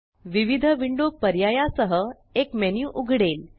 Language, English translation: Marathi, A menu opens containing different window options